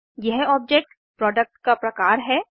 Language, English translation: Hindi, This object is of type: Product